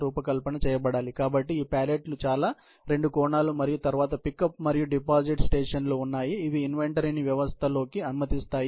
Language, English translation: Telugu, So, these pallets are very two dimension and then, there are pickup and deposit stations, which allow the inventory into the system